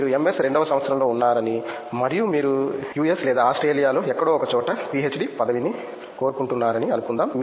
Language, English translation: Telugu, Let’s say you are in the second year of MS and you are aspiring a PhD position somewhere in the US or Australia whatever